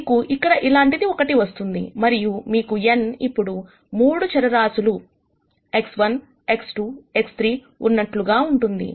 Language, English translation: Telugu, You will have something like this here, and n now would become supposing you have 3 variables X 1 X 2 X 3